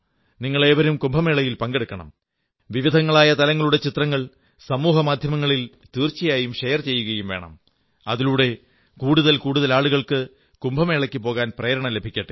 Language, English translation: Malayalam, I urge all of you to share different aspects of Kumbh and photos on social media when you go to Kumbh so that more and more people feel inspired to go to Kumbh